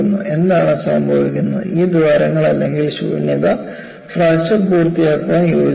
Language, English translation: Malayalam, And what happens is, these holes are voids, join up to complete the fracture